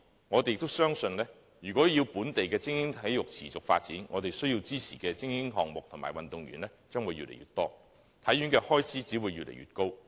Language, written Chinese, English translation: Cantonese, 我們相信，若要本地精英體育項目持續發展，便須支持更多精英項目和運動員，故此體院的開支只會越來越高。, We believe support has to be given to more elite sports and athletes for local elite sports to sustain their development and the expenditure of HKSI will therefore keep rising